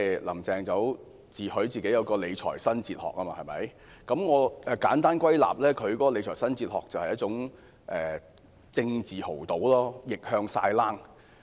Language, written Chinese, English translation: Cantonese, "林鄭"自詡有理財新哲學，我簡單歸納，她的理財新哲學便是一種政治豪賭，逆向"晒冷"。, Carrie LAM boasts about her new fiscal philosophy which I will simply summarize as placing a huge political bet and going all in in the face of adversity